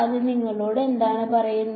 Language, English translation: Malayalam, What does that tell you